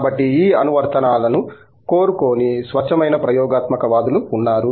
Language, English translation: Telugu, So, there are these pure, experimentalists who do not want any application